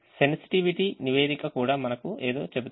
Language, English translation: Telugu, the sensitivity report also tells us something fact